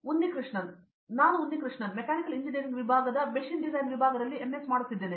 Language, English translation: Kannada, Unnikrishanan: I am Unnikrishanan, I am doing my MS in Machine Design Section, Mechanical Engineering